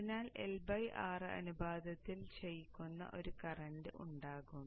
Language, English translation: Malayalam, So in a L by R ratio there will be a current which will be decaying